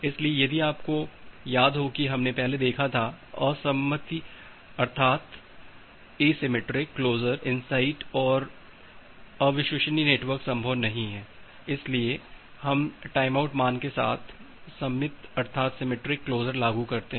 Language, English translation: Hindi, So, if you remember we have looked into earlier that asymmetric closure insight and unreliable network is not possible so we want to implement a symmetric closure with a timeout value